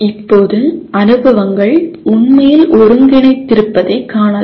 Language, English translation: Tamil, Now, we can look at the experiences are really integrated